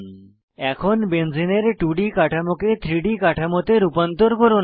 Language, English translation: Bengali, As an assignment, Convert Benzene structure from 2D to 3D